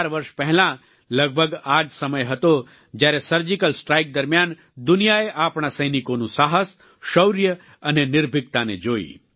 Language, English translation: Gujarati, Four years ago, around this time, the world witnessed the courage, bravery and valiance of our soldiers during the Surgical Strike